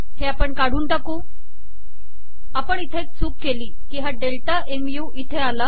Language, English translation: Marathi, So we remove, we made a mistake here, the delta mu has come here